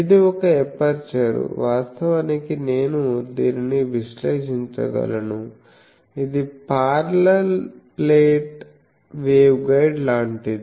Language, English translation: Telugu, So, it is there is no radiation from this, this is a parallel plate waveguide